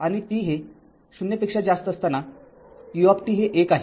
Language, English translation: Marathi, And for t greater than 0, this U t is 1